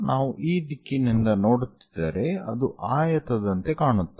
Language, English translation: Kannada, If we are looking from this direction it looks like a rectangle